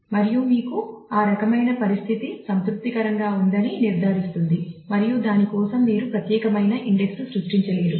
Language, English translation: Telugu, And that will ensure that you have that kind of a condition satisfied and you may not create unique index for that